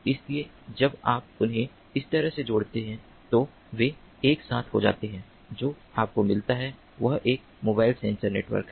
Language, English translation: Hindi, when you connect them in this manner, what you get is a mobile sensor network